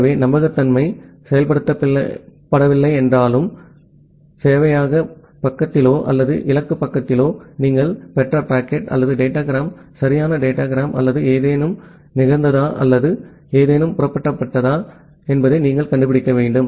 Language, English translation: Tamil, So, although reliability is not implemented, but at the server side or the destination side, you want to find out whether the packet or the datagram that you have received whether that is a correct datagram or something got some some happened or something got flipped